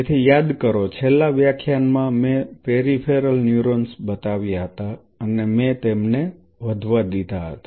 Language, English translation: Gujarati, So, in the last class remember I introduced the peripheral neurons and I allowed them to grow